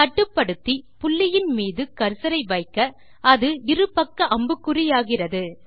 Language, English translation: Tamil, As you hover your cursor over the control point, the cursor changes to a double sided arrow